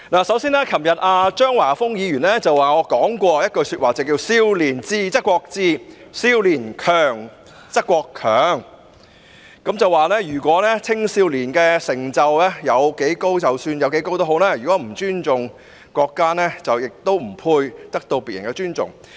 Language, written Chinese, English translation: Cantonese, 首先，昨天張華峰議員提到我說過一句話："少年智則國智，少年強則國強"，他藉此指出青少年的成就即使有多高，如果不尊重國家，亦不配得到別人的尊重。, First of all yesterday Mr Christopher CHEUNG quoted a statement I made If the young are intelligent the country will be intelligent; if the young are strong the country will be strong . He did so to point out that if young people regardless of however great achievements they have made do not respect the country they do not deserve others respect